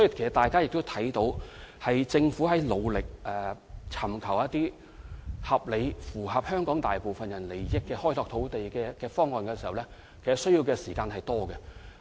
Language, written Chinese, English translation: Cantonese, 所以，大家可以看到，政府在努力尋求合理而符合香港大部分人利益的土地開拓方案時，所需時間極多。, Therefore as Members can see the Government actually needs lots of time in its efforts to work out land development options that are in the interest of the majority people in Hong Kong